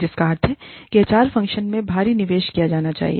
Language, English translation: Hindi, Which means, that the HR function, should be invested in, heavily